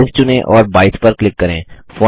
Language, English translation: Hindi, Select Size and click 22